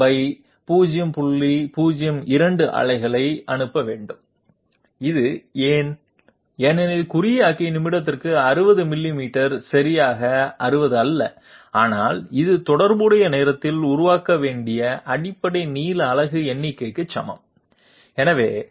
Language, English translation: Tamil, 02 pulses per minute, why is this so, because 60 millimeters per minute to the encoder is not exactly 60, but it is equal to the number of basic length unit it has to generate in the corresponding time, so let us see 60 divided by 0